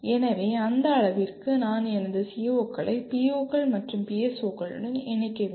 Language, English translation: Tamil, So to that extent I need to relate my or connect my COs to POs and PSOs